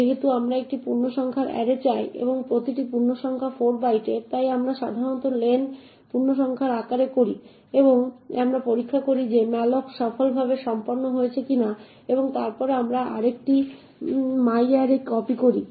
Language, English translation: Bengali, Since we want an integer array and each integer is of 4 bytes therefore we typically do len * the size of the integer and we check whether malloc was done successfully and then we copy array into myarray